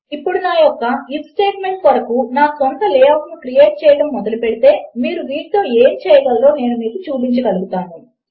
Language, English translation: Telugu, Now if I start creating my basic layout for my if statement i will get to work on showing you what you can do with these